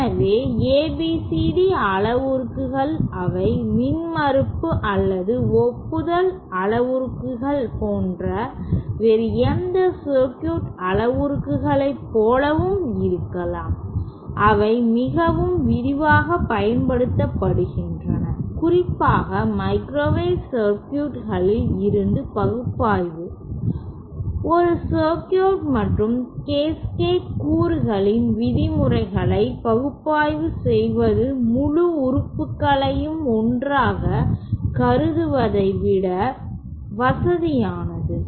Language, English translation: Tamil, So ABCD parameters, they might look like any other circuit parameters like like the impedance or the admittance parameters, they are used quite extensively, especially when, since in microwave circuit analysis, it is convenient to analyse a circuit and terms of Cascade elements rather than considering the whole element as one